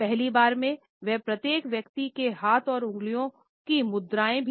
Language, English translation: Hindi, Including for the first time the pose of each individuals hands and fingers also